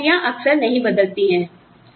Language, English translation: Hindi, Where the jobs, do not change often